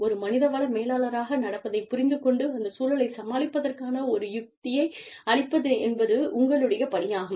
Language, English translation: Tamil, And, it is your job, as the human resources manager, to understand, what is going on, and to come up with a strategy, to deal with this, situation